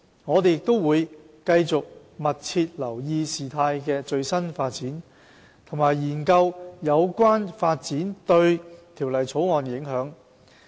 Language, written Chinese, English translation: Cantonese, 我們會繼續密切留意事態的最新發展，並研究有關發展對《條例草案》的影響。, We will closely monitor the development of the situation and study its impact on the Bill